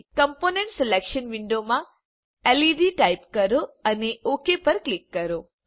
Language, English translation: Gujarati, In component selection window type led and click on OK